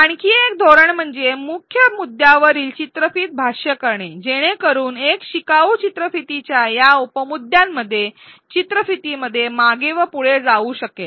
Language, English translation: Marathi, Another strategy is to annotate videos at key points so, that a learner can jump back and forth within the video within these subtopics of the video